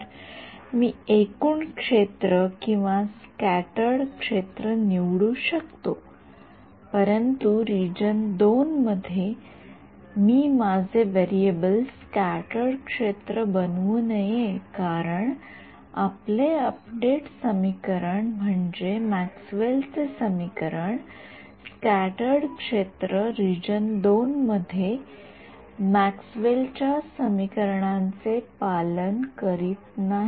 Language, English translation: Marathi, So, I can choose the total field or the scattered field, but in region II I should not make my variable scattered field, because your update equations and I mean Maxwell’s equation scattered field does not obey Maxwell’s equations in the region II